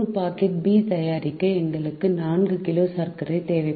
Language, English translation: Tamil, to make one packet of a, we need three kg of sugar